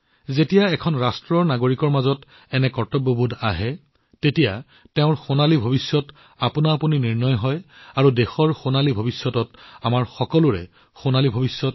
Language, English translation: Assamese, When such a sense of duty rises within the citizens of a nation, its golden future is automatically ensured, and, in the golden future of the country itself, also lies for all of us, a golden future